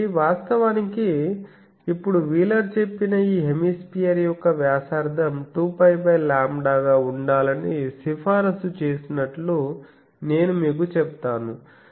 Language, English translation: Telugu, So, I will now tell you that originally wheeler recommended that the radius of this hemisphere that should be lambda by 2 pi